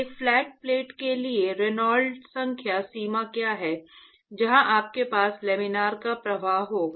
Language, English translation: Hindi, For what is the Reynolds number range for a flat plate where you will have laminar flow